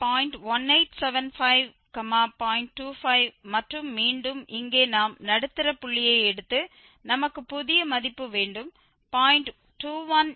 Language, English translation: Tamil, 25 and again we will take the middle point here so we have the new value 0